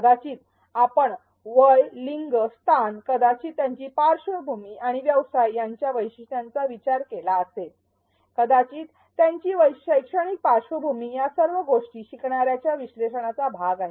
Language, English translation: Marathi, Perhaps you have considered characteristics such as age, gender location maybe their background and profession, maybe their educational background all of these are part of learner analysis